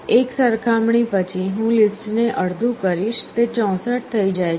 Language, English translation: Gujarati, After one comparison I reduce the list to half, it becomes 64